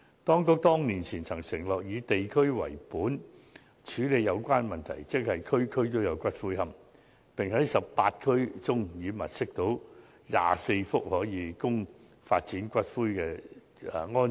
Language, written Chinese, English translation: Cantonese, 當局多年前承諾以地區為本處理有關問題，即"區區都有龕場"，並指已經在18區物色到24幅用地，可供發展龕場。, The Administration promised years ago to deal with the problem on a regional basis by building columbarium in every district . According to the Administration 24 sites have been identified in 18 districts for the development of columbaria